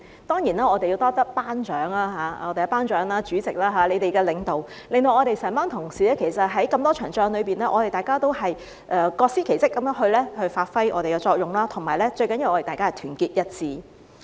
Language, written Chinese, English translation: Cantonese, 當然，我們要多謝"班長"，在我們"班長"和主席的領導之下，我們這些同事在那麼多場仗裏面，大家也各司其職地發揮自己的作用，而最重要的，是大家團結一致。, Of course we have to thank the class monitor of the pro - establishment camp . Under the leadership of our class monitor and the President we colleagues have played our roles in our own way in so many battles and most importantly we are united